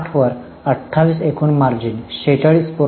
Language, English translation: Marathi, So, 28 upon 60, the gross margin is 46